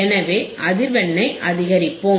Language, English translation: Tamil, So, we will keep on increasing the frequency